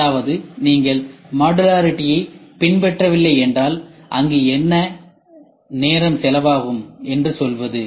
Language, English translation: Tamil, That means, to say if you do not follow modularity what is the time going to be there